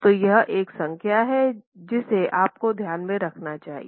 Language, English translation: Hindi, So, that's a number you want to keep in mind